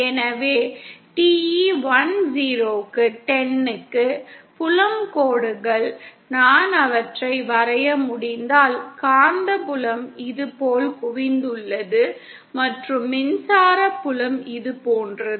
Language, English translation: Tamil, So for TE 10, the field lines, if I can draw them, the magnetic field are concentrate like this and the electric field are like this